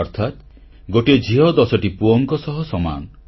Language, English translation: Odia, This means, a daughter is the equivalent of ten sons